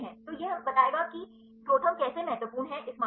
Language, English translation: Hindi, So, this will tell the how the ProTherm is a important in this case